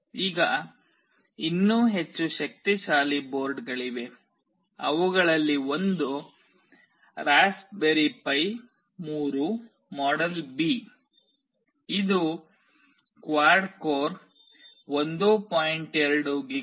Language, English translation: Kannada, Now, there are even more powerful boards one of which is Raspberry Pi 3 model B, which consists of quad core 1